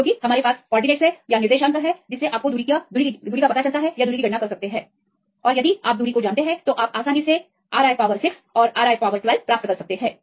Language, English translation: Hindi, Because we have the coordinates, you can calculate the distance if you know the distance you can easily get the R i power 6 and R i power 12